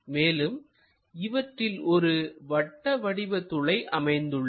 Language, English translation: Tamil, And this is a circular hole